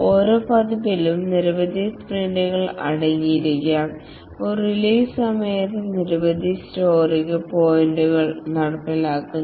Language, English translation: Malayalam, Each release might consist of several sprints and during a release several story points are implemented